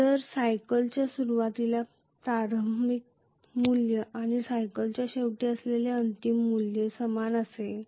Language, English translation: Marathi, If the initial value at the beginning of the cycle and the final value at the end of the cycle are the same